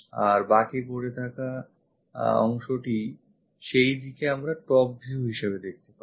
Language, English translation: Bengali, And this left over portion we will see it in the top view in that way